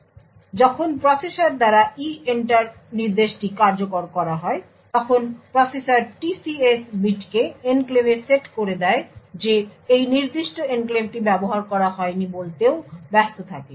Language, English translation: Bengali, So, when the EENTER instruction is executed by the processor, the processor would set TCS bit the TCS in enclave too busy stating that this particular enclave is not used